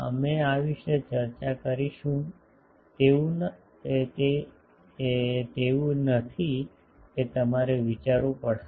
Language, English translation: Gujarati, We will discuss about this so it is not that you will have to think what